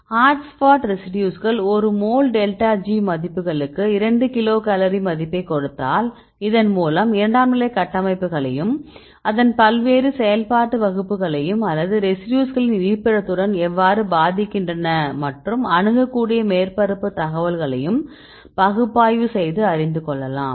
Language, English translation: Tamil, So, you can get the hotspot residues giving the value of 2 kilocal per mole delta G values and get the hot spot residues and you can also analyze whether this is secondary structure or how it effect in the different functional class or how it effect with the location of residues for example, you can see accessible surface area and so on right